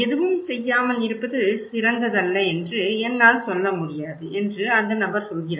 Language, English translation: Tamil, And the person is saying that I cannot say myself that doing nothing is not the best is not the best solution